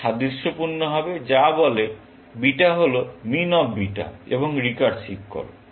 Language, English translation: Bengali, This would be analogous, which says beta is min of beta and the recursive call